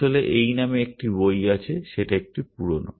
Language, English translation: Bengali, In fact, there is a book by this name, it is a little old